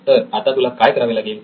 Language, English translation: Marathi, What do you have to do then